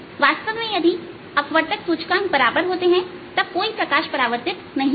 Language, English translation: Hindi, in fact, if the refractive index become equal, then there will be no reflected light